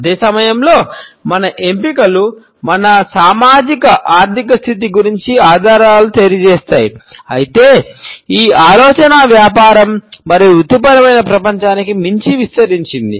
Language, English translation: Telugu, At the same time our choices in this context convey clues about our socio economic status, however the idea extends beyond the business and the professional world